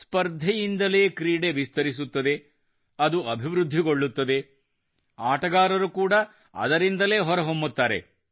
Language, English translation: Kannada, It is only through competition that a sport evolves…progresses…giving rise to sportspersons as an outcome